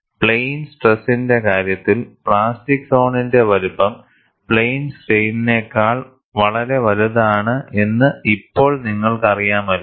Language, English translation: Malayalam, In the case of plane stress, now, you know, the size of the plastic zone is much larger than in plane strain